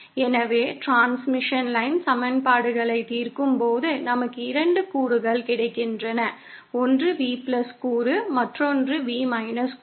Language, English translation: Tamil, So, we saw that on solving the transmission line equations, we get 2 components, one is V+ component and the other is V components